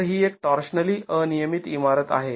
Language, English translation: Marathi, So, this is a torsional irregular building